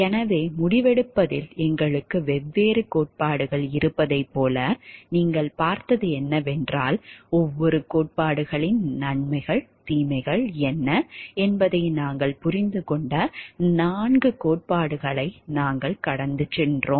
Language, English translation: Tamil, So, here what you have seen like we have different theories of decision making, we have gone through the 4 theories we have understood like what are the pros and cons of the each of the theories